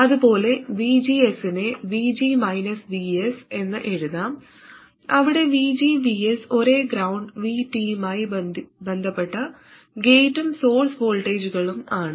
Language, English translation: Malayalam, And similarly, VGs can be written as VG minus VS, where VG and VS are gate and source voltages with respect to the same ground minus VT